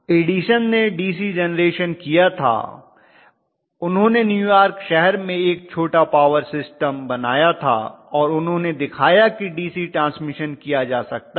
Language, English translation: Hindi, What Edison did was all DC generation, he made a small power system within you know New York City and he showed that you know DC transmission could be done